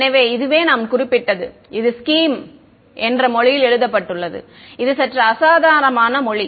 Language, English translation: Tamil, So, this is as I mentioned is written in a language called scheme which is a slightly unusual language